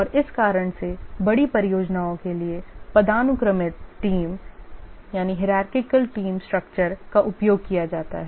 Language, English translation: Hindi, And for this reason the hierarchical team structure is used for large projects